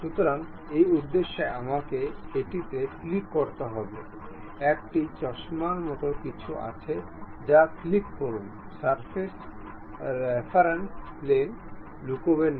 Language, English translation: Bengali, So, for that purpose I have to click that; there is something like a spectacles, click that, reference plane will be hided